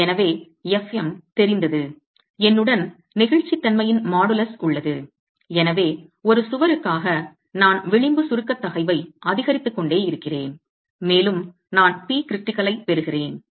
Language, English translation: Tamil, So, fM known I have the modulus of elasticity with me and so for a single wall I keep incrementing the edge compressive stress and I get the P critical